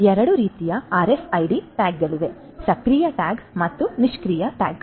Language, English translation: Kannada, So, there are two types of RFID tags, the active tag and the passive tag